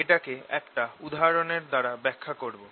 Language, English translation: Bengali, i will also demonstrate this through an example